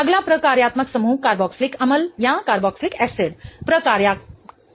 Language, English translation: Hindi, The another functional group of a carbonyl compound is ketone